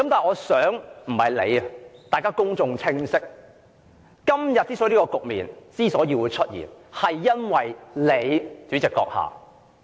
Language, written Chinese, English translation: Cantonese, 我希望公眾明白，今天之所以出現這個局面，是因為你，主席閣下。, That is it . I hope the public understands that this situation has arisen today because of you Chairman